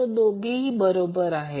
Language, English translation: Marathi, So, both are correct